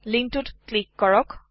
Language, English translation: Assamese, Click on the link